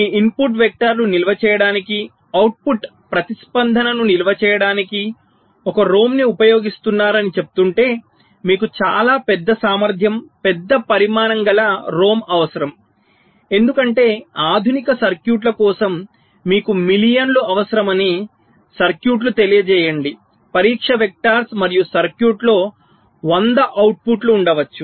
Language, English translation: Telugu, if you are saying that you will be using a rom to store your input vector, to store your output response, you need ah rom of a very large capacity, large size, because for a modern this circuits circuits let say you made a requiring millions of test vectors and and in the circuit there can be hundreds of outputs